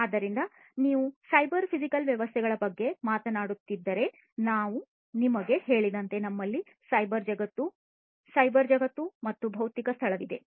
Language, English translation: Kannada, So, if you are talking about cyber physical systems, we have as I told you we have the cyber world, the cyber world, and the physical space, right